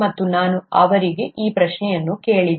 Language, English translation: Kannada, And, so, I asked them this question